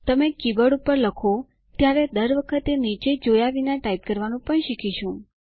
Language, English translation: Gujarati, You will also learn to type, Without having to look down at the keyboard every time you type